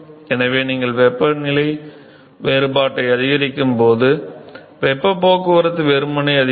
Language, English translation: Tamil, So, therefore, the heat transport is simply going to increase as you increase the temperature difference